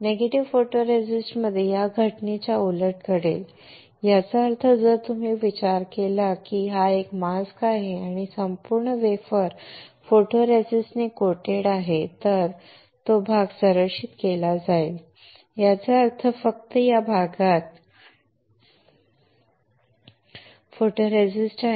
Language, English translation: Marathi, In negative photoresist opposite of this phenomena will take place; that means, if you consider that this is a mask and the whole wafer is coated with photoresist then only that area will be protected; that means, only this area has photoresist